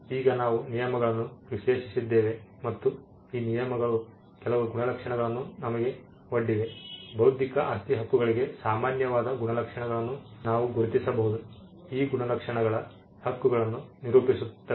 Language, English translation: Kannada, Now we have analyzed these terms and these terms have actually thrown up certain traits which we can identify as traits that are common for intellectual property rights, if not common traits which actually characterize this group of rights